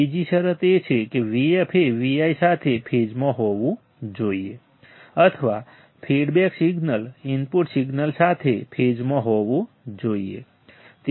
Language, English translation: Gujarati, Second condition is that V f should be in phase with V i or the feedback signal should be in phase with the input signal right